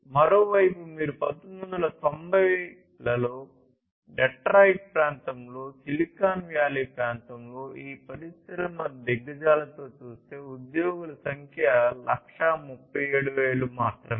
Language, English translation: Telugu, And on the other hand if you look and compare with these industry giants in the Detroit area in 1990s, in the Silicon Valley area the number of employees was only 1,37,000